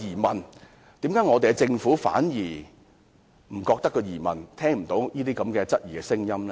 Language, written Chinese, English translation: Cantonese, 為何我們的政府反而沒有疑問，聽不到這些質疑的聲音？, How come our Government on the contrary has no doubt at all and does not hear any of these doubts?